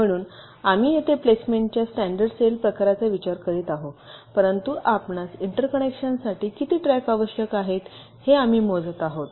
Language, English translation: Marathi, so here we are considering standard cell kind of a placement, but we are just counting how many tracks we are needing for interconnection